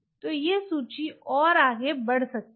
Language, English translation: Hindi, so this list can go on and on